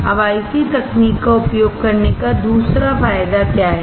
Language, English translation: Hindi, Now, what is the second advantage of using IC technology